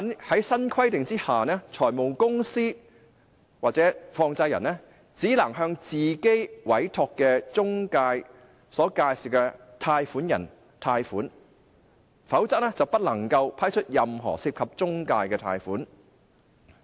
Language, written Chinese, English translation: Cantonese, 在新規定之下，財務公司或放債人只能向自己委託的中介公司所介紹的貸款人貸款，否則不能批出任何涉及中介公司的貸款。, Under the new provision finance companies or money lenders can only make loans to borrowers referred by their own appointed intermediaries . Otherwise they cannot approve any loans involving intermediaries